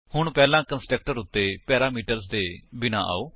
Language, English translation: Punjabi, Now, let us first come to the constructor with no parameters